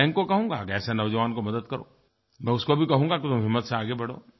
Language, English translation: Hindi, I will ask the bank to help such an individual and I will tell him to move ahead with courage